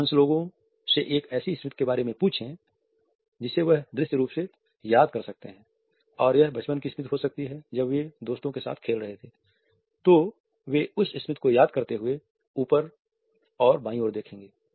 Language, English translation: Hindi, Ask most people about a memory that they can visually recall in their brain and it may be a childhood memory, when they were playing in the part of friends they will look up and to the left as they recall that memory